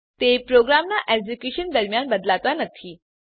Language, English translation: Gujarati, They do not change during the execution of program